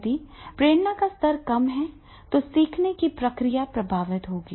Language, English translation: Hindi, And if it is motivation level is low, then of course the learning process will be affected